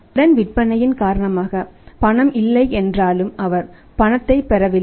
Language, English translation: Tamil, Because of the credit sales though cash is not there, he is not receiving cash